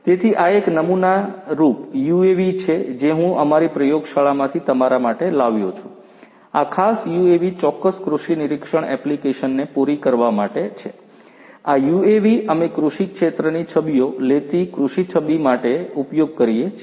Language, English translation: Gujarati, So, this is a sample UAV that I have brought for you from my lab, this particular UAV is for catering to certain agricultural monitoring application